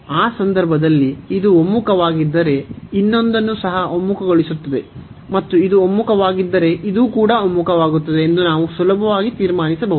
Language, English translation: Kannada, And in that case, we can conclude easily that if this converges the other one will also converge and if this converge this was also converge